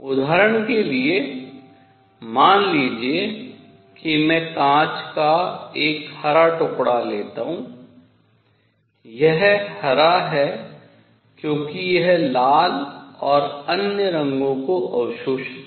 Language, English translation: Hindi, For example, suppose I take a green piece of glass, it is green because it absorbs the red and other colors and reflects green